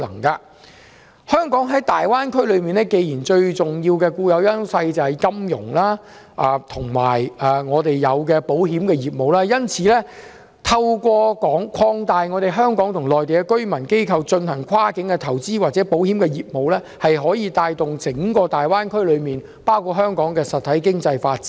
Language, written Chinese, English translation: Cantonese, 既然香港在大灣區內最重要的固有優勢是金融和保險業務，透過擴大香港和內地居民機構進行跨境投資或保險業務，可以帶動整個大灣區的實體經濟發展。, Since Hong Kongs most important inherent edge in the Greater Bay Area is its financial and insurance operations through the expansion of cross - boundary investments and insurance operations between Hong Kong and Mainland peoples and organizations it will foster the development of the real economy of the entire Greater Bay Area including Hong Kong